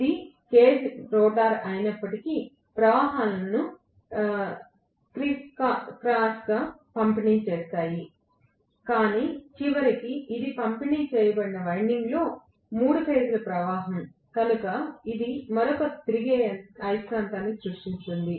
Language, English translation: Telugu, Even if it is the cage rotor the currents will distribute crisscross, but ultimately it is the 3 phase current in a distributed winding, so it is going to create another revolving magnetic field